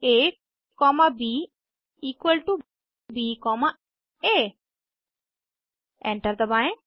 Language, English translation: Hindi, To do so type a comma b equal to b comma a Press Enter